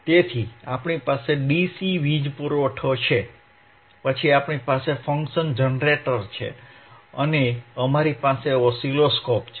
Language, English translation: Gujarati, So, we have our DC power supply, then we have function generator, and we have oscilloscope